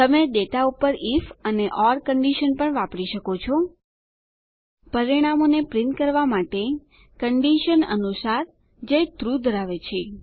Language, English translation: Gujarati, You can also use the If and Or condition on data * to print the results according to the condition that holds TRUE